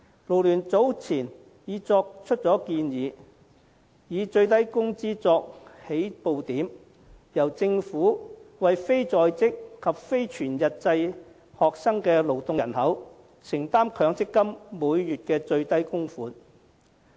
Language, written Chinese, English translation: Cantonese, 勞聯早前已提出建議，以最低工資作起步點，由政府為非在職及非全日制學生的勞動人口承擔強積金每月的最低供款。, FLU has earlier proposed that the Government should make the minimum monthly MPF contribution for persons in the labour force who are neither in employment nor engaged in full - time studies with the minimum wage as the starting point